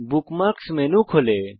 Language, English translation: Bengali, The Bookmark menu expands